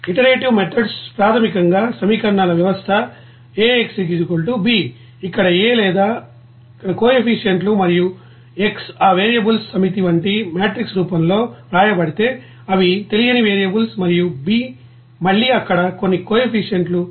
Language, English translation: Telugu, And iterative methods are basically if the system of equations is written in a matrix form like AX = b here A or here you know that coefficients and X is that set of you know variables, they are unknown variables and b is again that some coefficients there